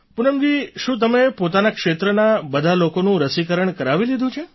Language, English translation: Gujarati, Poonam ji, have you undertaken the vaccination of all the people in your area